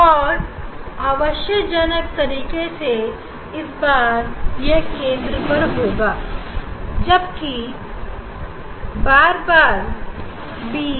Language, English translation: Hindi, And in this case surprisingly this at the center all the time it is b